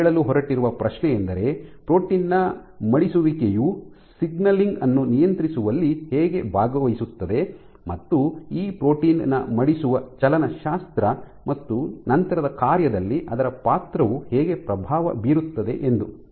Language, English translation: Kannada, So, the question that I am going to ask is how does folding of the protein participate in regulating signaling and how does forces influence the folding kinetics of this protein and its role in subsequent function